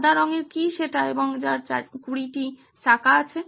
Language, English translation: Bengali, What is white and has 20 wheels